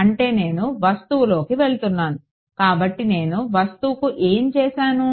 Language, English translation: Telugu, That means, I am going into the object; so, what I have done to the object